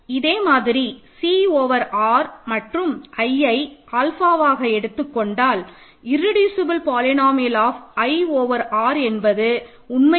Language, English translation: Tamil, Similarly, if you take R over Q C over R and alpha equal to i irreducible polynomial of i over R is actually the same it is x squared plus 1